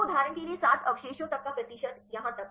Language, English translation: Hindi, So, the percentage up to the 7 residues for example, up to here